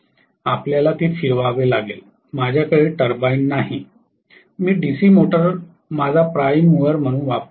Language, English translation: Marathi, You have to rotate it, I do not have a turbine, I am using the DC motor as my prime mover right